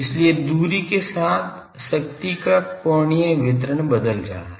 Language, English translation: Hindi, So, angular distribution of power is changing with distance